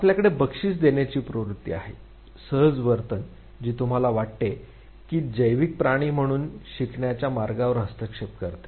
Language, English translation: Marathi, you have a tendency to reward to your instinctive behavior, that interferes with the way you are suppose learn as a biological creature